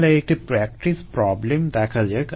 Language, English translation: Bengali, let's see a practice problem